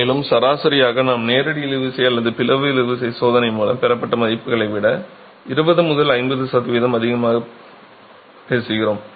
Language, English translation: Tamil, And on an average we are talking of 20 to 50% higher than the values obtained from a direct tension or a split tension test